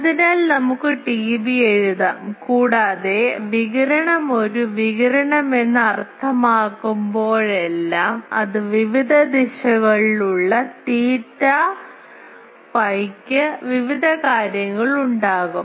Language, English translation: Malayalam, So, we can write that T B and also whenever radiation means that is a radiation it is a function that theta phi in various directions it will have various things